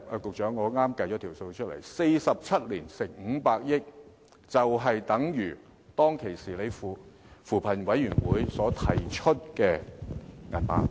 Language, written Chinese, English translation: Cantonese, 局長，我剛才計算了 ：47 年乘以500億元，便相等於扶貧委員會當時提出的金額。, Secretary as per my calculation just now 47 years multiplied by 50 billion equals to the amount suggested by the Commission on Poverty